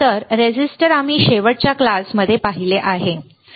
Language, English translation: Marathi, So, resistor we have seen in the last class resistor, right